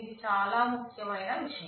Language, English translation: Telugu, This is a very important consideration